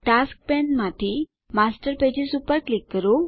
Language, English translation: Gujarati, From the Tasks pane, click on Master Pages